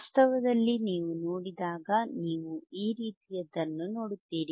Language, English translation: Kannada, In reality in reality, when you see, you will see something like this right